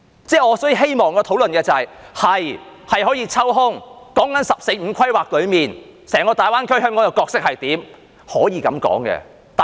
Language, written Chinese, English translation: Cantonese, 所以，我希望討論的是，我們的確可以抽空，說"十四五"規劃中，在整個大灣區，香港的角色是怎樣。, As such what I would like to discuss is that we can indeed take the time to talk about the role of Hong Kong in the entire Greater Bay Area under the 14th Five - Year Plan